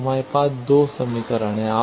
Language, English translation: Hindi, Now, we have 2 equations